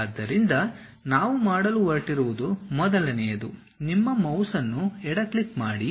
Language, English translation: Kannada, So, the first one what we are going to do is move your mouse give a left click